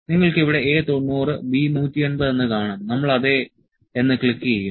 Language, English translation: Malayalam, You can see A 90 A 90 here B 180, A 90 B 180, we click yes